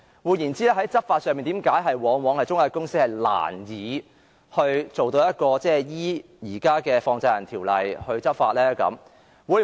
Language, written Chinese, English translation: Cantonese, 換言之，在對中介公司執法方面，為何往往難以按照現時的《放債人條例》來執法呢？, In other words with regard to law enforcement why is it always difficult to take enforcement actions against intermediaries under the existing Money Lenders Ordinance?